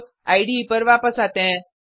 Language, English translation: Hindi, Now, come back to the IDE